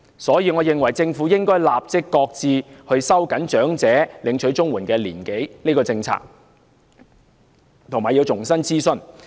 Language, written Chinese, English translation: Cantonese, 因此，我認為政府應該立即擱置收緊領取長者綜援年齡的政策，並要重新諮詢。, Therefore I consider that the Government should immediately shelve the policy of tightening the eligibility age for elderly CSSA and conduct consultation afresh